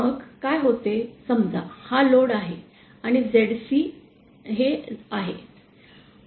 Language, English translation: Marathi, Then what happens, suppose this load is, this is zc